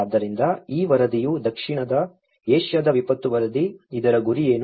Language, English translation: Kannada, So, this report the South Asian Disaster Report, what does it aim